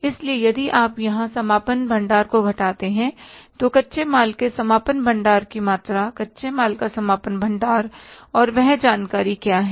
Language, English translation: Hindi, So if you subtract the closing stock here, what is the amount of the closing stock of raw material